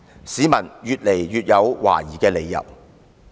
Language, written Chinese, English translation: Cantonese, 市民越來越有懷疑的理由。, The citizens now even have more reasons for their suspicious